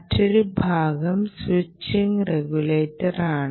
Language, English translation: Malayalam, it can be a switching regulator